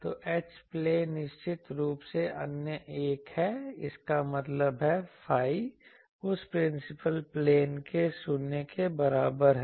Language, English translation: Hindi, So, H plane is definitely the other one; that means, phi is equal to 0 that principal plane